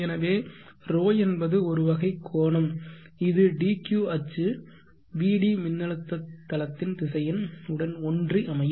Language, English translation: Tamil, is at such an angle that the dq axis is aligned along the vd which is the voltage space vector